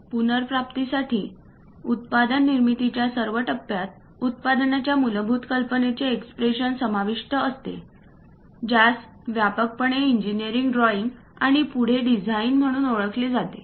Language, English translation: Marathi, To recap all phases of manufacturing a product involved expressing basic ideas into graphical format widely known as engineering drawing and further design